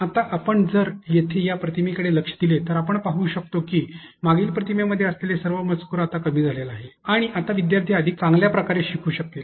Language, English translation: Marathi, Now, if we look into this image here, we can be able to see that all the text that has been there in the previous image have been reduced in the sense that students can now be able to learn better